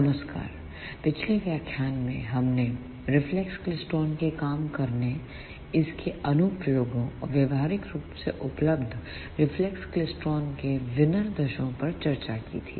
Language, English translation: Hindi, Hello, in the last lecture, we discussed reflex klystron, its working, its applications and a specifications of practically available reflex klystron